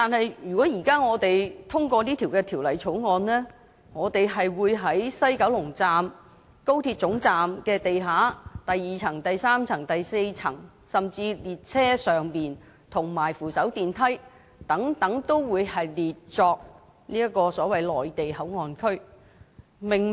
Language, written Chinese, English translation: Cantonese, 但是，如果現時我們通過《條例草案》，我們會把西九龍高鐵總站地下的第二層、第三層、第四層，甚至是列車上及扶手電梯等範圍均列為內地口岸區。, However if we pass the Bill now B2 B3 and B4 levels under the ground floor of the XRL West Kowloon Terminus and even such areas as train compartments and escalators will be designated as the Mainland Port Area MPA